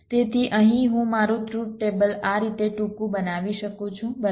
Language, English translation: Gujarati, so here i can make my truth table short in this way